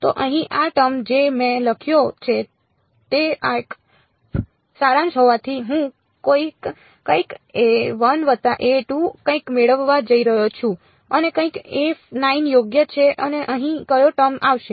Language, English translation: Gujarati, So, this term over here that I have written is since its a summation I am going to get a 1 something plus a 2 something all the way up to a 9 something right and which term will come over here